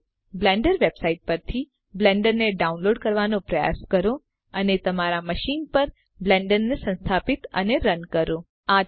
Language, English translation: Gujarati, Now try to download Blender from the Blender website and install and run Blender on your machine